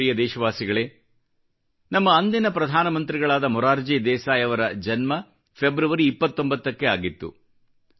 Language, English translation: Kannada, My dear countrymen, our former Prime Minister Morarji Desai was born on the 29th of February